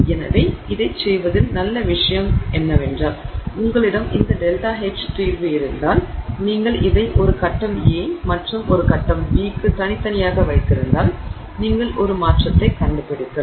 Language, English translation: Tamil, So, the nice thing about doing this is that if you have this delta H solution and let's say you have this separately for a phase A and for a phase B then you can find out for a transformation